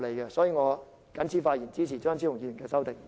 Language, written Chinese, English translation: Cantonese, 因此，我謹此發言，支持張超雄議員的修正案。, For this reason I so submit and support Dr Fernando CHEUNGs amendment